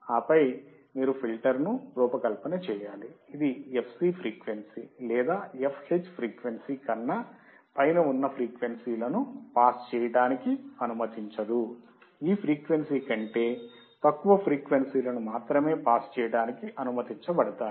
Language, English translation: Telugu, And then you have to design the filter such that above the frequency fc or fh, it will not allow the frequency to pass; only frequencies below this frequency will be allowed to pass